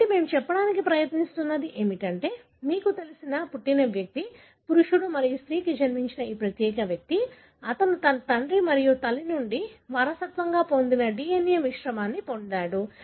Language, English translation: Telugu, So, what we are trying to say is that the, right, so what we are going to say is that this particular individual who is a, you know, individual that are born, that is born to the male and female, he has got mixture of the DNA that he inherited from his father and mother